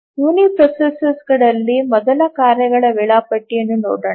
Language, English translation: Kannada, Let's look at first task scheduling on uniprocessors